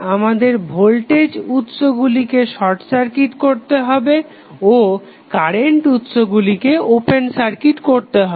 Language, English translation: Bengali, We have to short circuit the voltage source and open circuit the current source